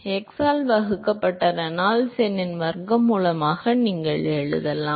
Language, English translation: Tamil, You can write it as square root of Reynolds number divided by x